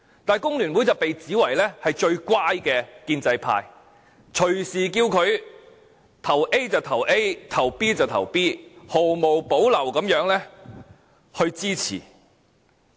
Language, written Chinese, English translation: Cantonese, 但工聯會據說是最乖的建制派，隨時叫它將選票投給 A 就投給 A、投給 B 就投給 B， 毫無保留地支持政府。, FTU is said to be the most obedient member of the pro - establishment camp . It willingly casts its votes anytime on whichever candidate A or B when it is so instructed and supports the Government without reservation